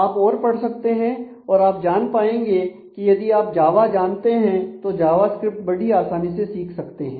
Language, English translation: Hindi, So, you can read through and you will be able to if you know Java you will be able to understand Java script very easily, you could get through that